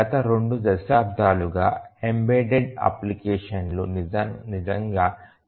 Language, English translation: Telugu, For last two decades or so, the embedded applications have really increased to a great extent